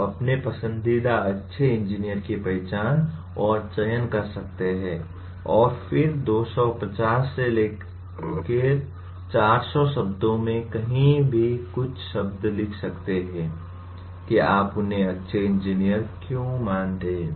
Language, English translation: Hindi, You can identify and select your favorite good engineer and then write a few words anywhere from 250 to 400 words why do you consider him or her a good engineer